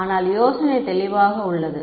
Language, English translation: Tamil, But is the idea clear